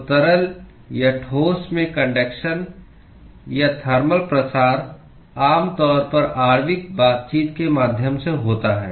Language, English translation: Hindi, So, the conduction or the thermal diffusion in liquids or solids typically occurs through molecular interactions